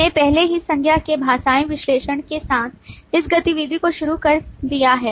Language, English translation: Hindi, We have already started this activity with the linguistic analysis of nouns